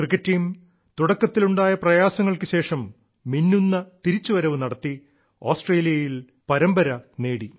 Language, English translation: Malayalam, Our cricket team, after initial setbacks made a grand comeback, winning the series in Australia